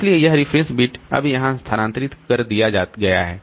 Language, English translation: Hindi, And then this reference bit is set to zero